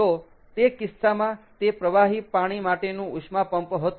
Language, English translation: Gujarati, so in that case it was a liquid water heat pump